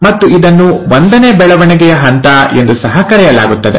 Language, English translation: Kannada, And, it's also called as the growth phase one